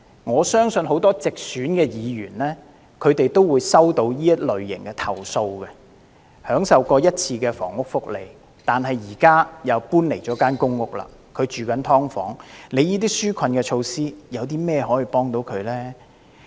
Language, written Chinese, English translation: Cantonese, 我相信很多直選議員也曾收到此類型的投訴，有些市民曾享受過一次房屋福利，但現時又搬離了公屋，住在"劏房"，政府當局的紓困措施又怎樣幫助他們呢？, I believe that many directly - elected Members have received such kind of complaints . Some citizens had once enjoyed housing benefits . After moving out of the PRH units they are now living in subdivided units